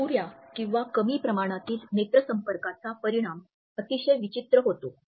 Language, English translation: Marathi, Inadequate eye contact results in very awkward situations